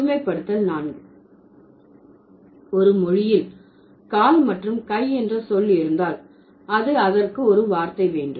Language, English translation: Tamil, And generalization four, if a language has a word for foot, then it will also have a word for hand